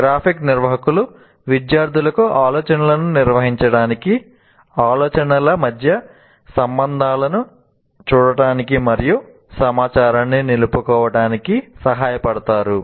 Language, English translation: Telugu, And graphic organizers help students organize ideas, see relationships between ideas, and facilitate retention of information